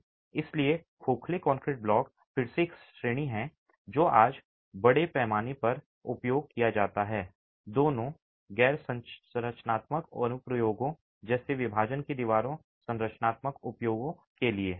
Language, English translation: Hindi, So, hollow concrete blocks are again a category that is extensively used today both for non structural applications like the partition walls and for structural application